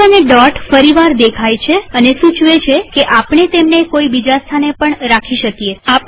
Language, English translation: Gujarati, The cursor and the small dot show up once again, suggesting that we can place it at some other location also